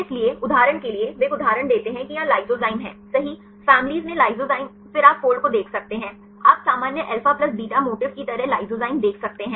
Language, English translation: Hindi, So, for example, he give one example say here lysozyme right, the families lysozyme then you can see the fold right you can see the lysozyme like common alpha plus beta motif